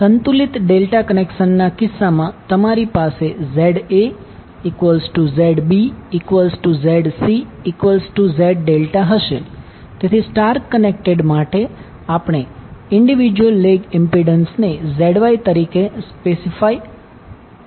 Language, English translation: Gujarati, In case of balanced delta connection you will have ZA, ZB, ZC all three same so you can say simply as Z delta, so for star connected we will specify individual legs impedance as ZY